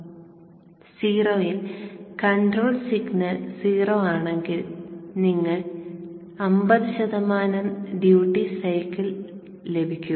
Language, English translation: Malayalam, So at 0, if the control signal is 0, you will get 50% duty cycle